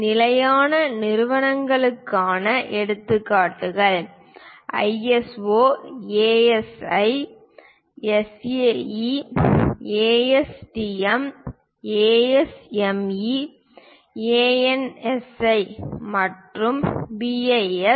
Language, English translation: Tamil, Examples for standard organizations are ISO, AISI, SAE, ASTM, ASME, ANSI and BIS